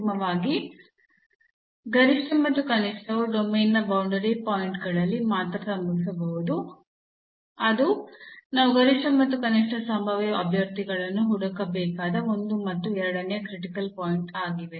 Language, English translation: Kannada, So, the conclusion here that maximum and minimum can occur only at the boundary points of the domain; that is a one and the second the critical points which we have to look for the possible candidates for maximum and minimum